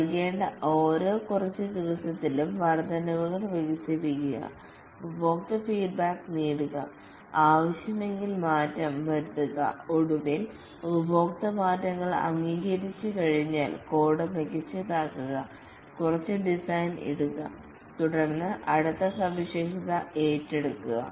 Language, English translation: Malayalam, Develop over increment every few days increments to be given get customer feedback, alter if necessary and then finally once accepted by the customer refactor, make the code better, put some design and then take up the next feature